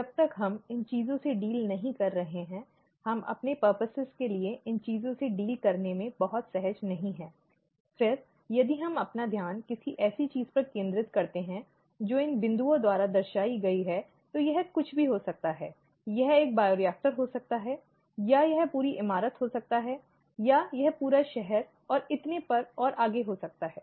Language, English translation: Hindi, As long as we are not dealing with these things; we are quite comfortable not dealing with these things for our purposes, then, if we focus our attention on something which is represented by these dotted these dashes, this could be anything, this could be a bioreactor (())(, this could be the entire building, this could be an entire city and so on and so forth